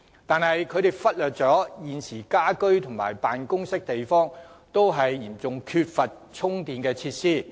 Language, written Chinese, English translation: Cantonese, 但是，當局忽略了現時家居和辦公地方均嚴重缺乏充電設施。, However the Government has neglected the fact that there is now a serious shortage of charging facilities in domestic premises and offices